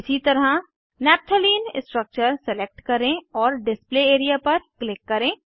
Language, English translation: Hindi, Likewise lets select Naphtalene structure and click on the Display area